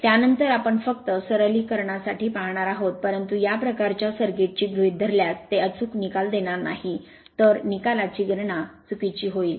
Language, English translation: Marathi, After that we are just for the simplification , but this kind of if you assume this kind of circuit it will give it will not give accurate result